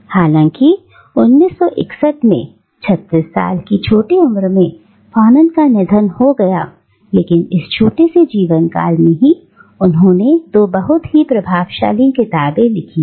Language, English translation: Hindi, Now, though Fanon died in 1961 at the young age of 36 within this very short lifespan he had authored two very influential books